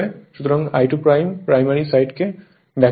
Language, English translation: Bengali, So, I 2 is on the secondary side